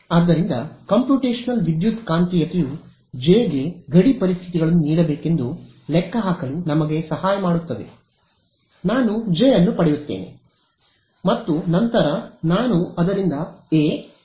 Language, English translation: Kannada, So, computational electromagnetics helps us to calculate what should be the J be given boundary conditions, I get J then I go back plug it into this get A get H get E